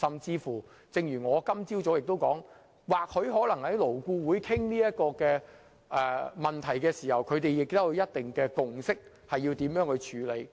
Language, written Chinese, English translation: Cantonese, 正如我今早所說，或許勞顧會在討論這個問題時已達成一定共識，提出應如何處理。, As stated by me this morning LAB may have reached some consensus on the ways to address this issue during their discussion